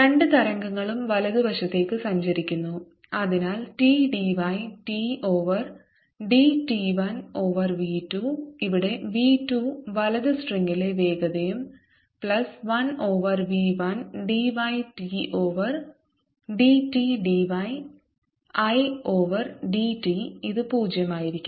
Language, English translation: Malayalam, therefore t d y t over d t, one over v two, where v two is the velocity in the right string, plus one over v one, d y t over d t, d y i over d t and this should be zero